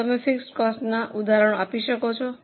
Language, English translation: Gujarati, Now, can you give some examples of fixed costs